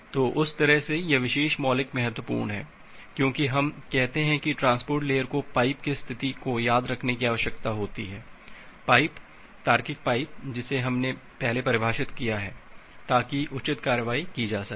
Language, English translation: Hindi, So, that way that way, this particular primitive is important because, what we say that the transport layer needs to remember the state of the pipe, the pipe logical pipe that we have defined earlier, so that appropriate actions can be taken